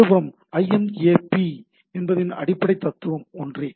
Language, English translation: Tamil, So, on the other hand, IMAP v4 is the basic philosophy is same